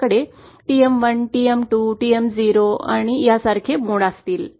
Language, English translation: Marathi, So we will have modes like say TM 1, TM 2, TM 0 and so on